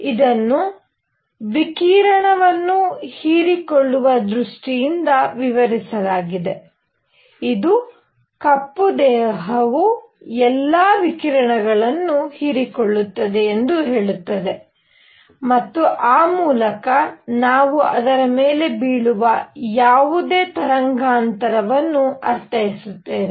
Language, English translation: Kannada, This is explained in terms of absorption of radiation which says that a black body absorbs all the radiation; and by that we mean any wavelength falling on it